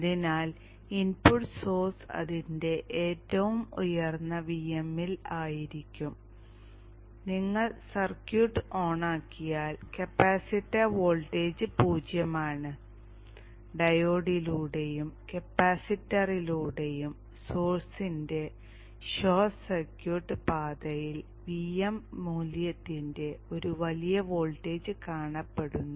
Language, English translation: Malayalam, So when the input source is at its peak VM, you turn on the circuit, capacitor voltage is zero, a huge voltage of VM value is seen across the short circuited path of the source through the diode and the capacitor